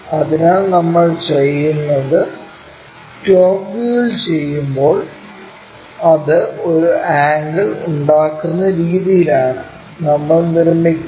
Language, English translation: Malayalam, So, what we do is when we are doing in the top view, we construct in such a way that it makes an angle